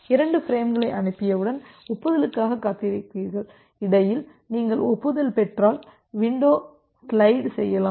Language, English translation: Tamil, So, once you are you have sent 2 frames then you wait for the acknowledgement and in between if you receive an acknowledgement, you can slide the window